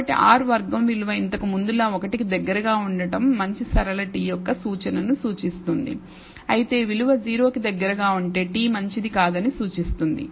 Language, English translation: Telugu, So, value of R square close to 1 as before represents indication of a good linear t whereas, a value close to 0 indicates the t is not good